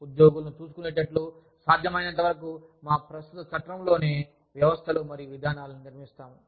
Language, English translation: Telugu, We will build, systems and procedures, within our existing framework, to ensure that, the employees are looked after, as well as possible